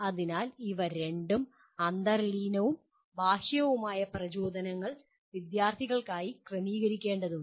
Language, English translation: Malayalam, So and both of them, both intrinsic and extrinsic motivations will have to be arranged for the student